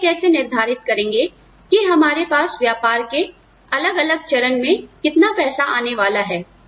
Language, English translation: Hindi, How we decide, how much money is going to, go into the different stages of our business